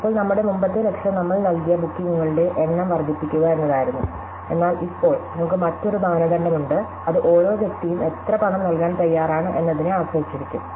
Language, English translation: Malayalam, Now, our earlier goal was to maximize the number of bookings that we gave, but now, we have another criterion which is more immediate, which is how much each person is willing to pay